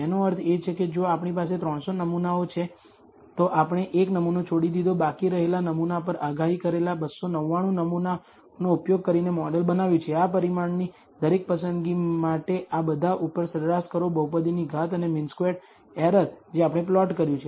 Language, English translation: Gujarati, That means, if we have 300 samples we left out one sample, built the model using 299 samples predicted on the sample that is left out do this in turn, average over all of this for every choice of these parameter, degree of the polynomial and mean squared error we have plotted